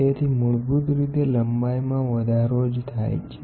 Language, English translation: Gujarati, So, basically an increase in length